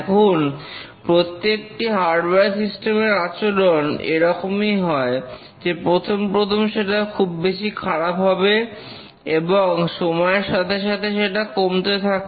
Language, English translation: Bengali, Now every hardware system it shows this kind of behavior that initially the failure rate is very high and then with time it decreases